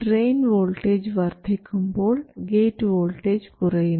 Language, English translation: Malayalam, That is, if the drain voltage increases, the source voltage must reduce